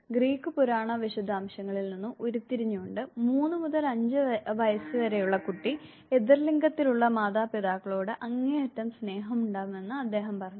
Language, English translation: Malayalam, Deriving from the Greek mythological details, he said that child between the age of 3 and 5, develops extreme degree of love for the parent of the opposite sex